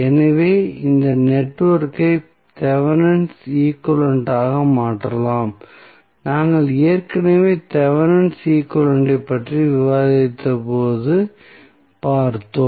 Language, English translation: Tamil, So, this network can be replaced by the Thevenin's equivalent this we have already seen when we discuss the Thevenin's equivalent